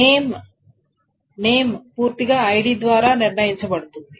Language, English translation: Telugu, Name, name is fully determined on by the ID